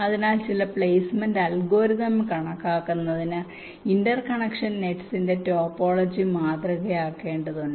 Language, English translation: Malayalam, so for making an estimation, some placement algorithm needs to model the topology of the interconnection nets